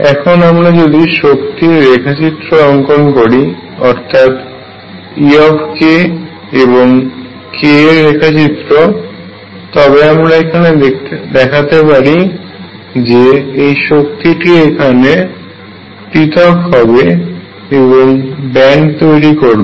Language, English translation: Bengali, So, I will again make this picture e k versus k and show that these energy is now are going to split and make a band